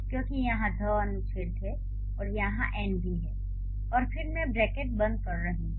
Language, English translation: Hindi, Here is article because that's the and here is n and I'm closing the bracket